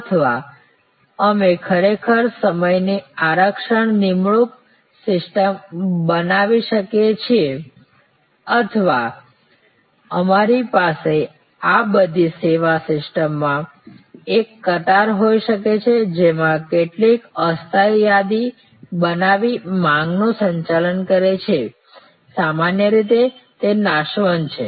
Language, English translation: Gujarati, Or we can actually create a appointment system reservation of time or we can have a queue these are all managing the demand in a way creating some temporary inventory in the service system, was normally it is perishable